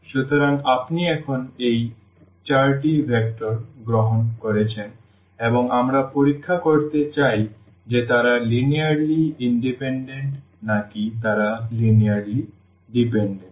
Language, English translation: Bengali, So, you have taken these 4 vectors now and we want to check whether they are linearly independent or they are linearly dependent the same process we will continue now